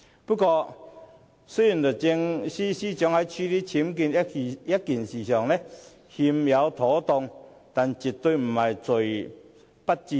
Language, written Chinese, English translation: Cantonese, 不過，雖然律政司司長在處理僭建一事上有欠妥當，但絕對是"罪不致死"。, Despite the inadequacies of the Secretary for Justice in handling UBWs her mistake is definitely not fatal in any event